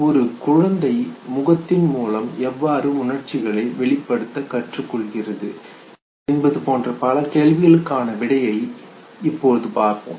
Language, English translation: Tamil, Let us now understand how an infant human infant learns to express through face